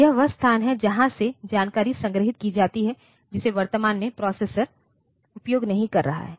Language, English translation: Hindi, So, this is the location from where the information is kept while not in current use